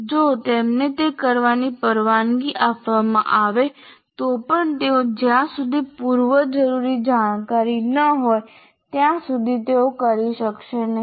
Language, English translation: Gujarati, Even if they are permitted to do that, they will not be able to do unless they have the prerequisite knowledge